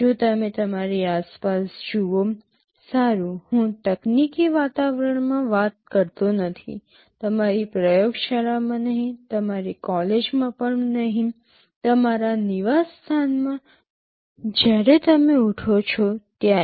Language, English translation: Gujarati, If you look around you; well I am not talking about in a technical environment, not in your laboratory, not in your college well even in your residence when you wake up from your sleep